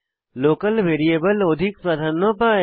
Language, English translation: Bengali, The local variable gets the priority